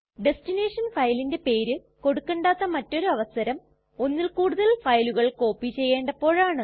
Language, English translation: Malayalam, Another instance when we do not need to give the destination file name is when we want to copy multiple files